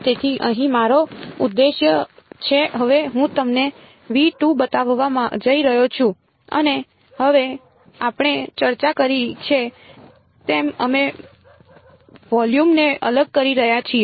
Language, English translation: Gujarati, So, here is my object now I am just going to show you v 2 and now as we have discussed we are discretising the volume